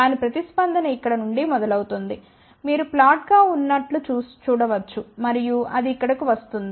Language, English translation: Telugu, The response of that is starting from here, you can see it is flat and then it is coming down over here